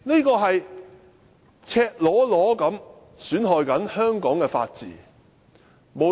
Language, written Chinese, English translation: Cantonese, 這是赤裸裸地損害香港的法治。, This is an naked damage to the rule of law of Hong Kong